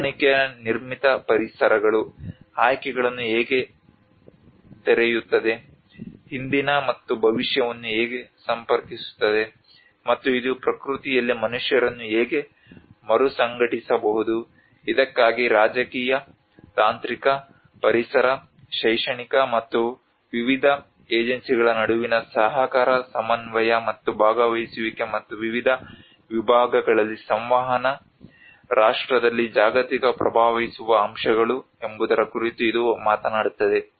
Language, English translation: Kannada, And this also talks about how the adaptive built environments open up choices, connect past and future, and how it can reintegrate the humans in nature for which cooperation coordination between various agencies political, technological, ecological, educational and as well as the participation and communication across various segments the global actors in the National